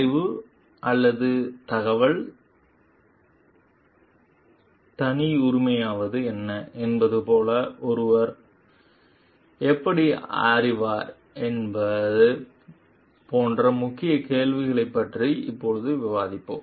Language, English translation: Tamil, We will discuss now about the key question which is like how does one know like what knowledge or information is proprietary